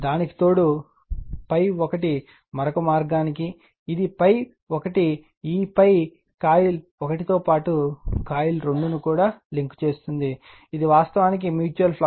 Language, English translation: Telugu, In addition to that, phi 1 to another path right, it will all it will phi 1 to also link phi coil 1 as well as your coil 2, this is actually mutual flux